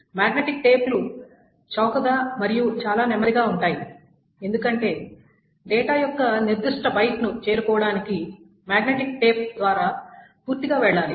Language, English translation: Telugu, So magnetic tapes are really, really very cheap and it is extremely slow because you have to go through a magnetic tape completely to reach a particular bite of data